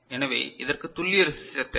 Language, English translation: Tamil, So, this is we require precision resistor